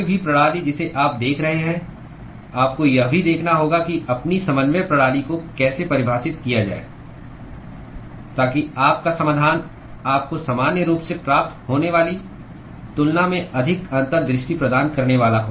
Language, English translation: Hindi, Any system that you are looking at, you will also have to see how to define your coordinate system, so that your solution is going to give you much more insight than what you would normally get